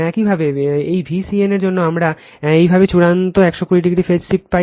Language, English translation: Bengali, Similarly, for this V c n we get similarly ultimate 120 degree phase shift right